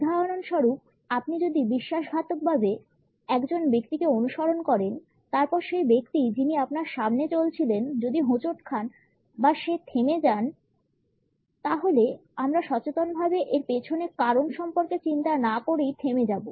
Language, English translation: Bengali, For example, if you are following a person only rather treacherous path; then if the other person who is walking in front of us stumbles or he stops we would immediately stop without consciously thinking about the reason behind it